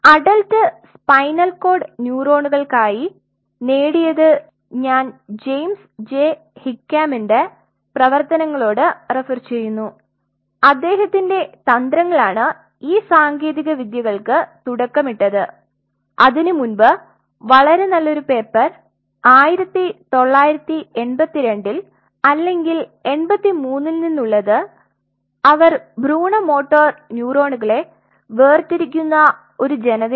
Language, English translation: Malayalam, There I will be referring to James J Hickman’s work his group has pioneered the pioneered these techniques of; earlier to that there was a very nice paper very early back in 1982 or 83 off we talk about the adult they are a people who separate out embryonic motor neurons